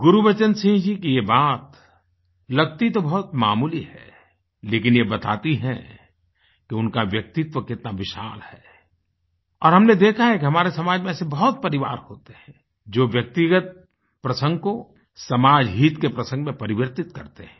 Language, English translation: Hindi, This point made by Gurbachan Singh ji appears quite ordinary but this reveals how tall and strong his personality is and we have seen that there are many families in our society who connect their individual matters with the benefit of the society as a whole